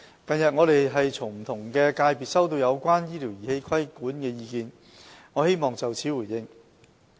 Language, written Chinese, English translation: Cantonese, 近日，我們從不同界別收到有關醫療儀器規管的意見。我希望就此作回應。, Recently we received views from different sectors on the regulation of medical devices to which I would like to respond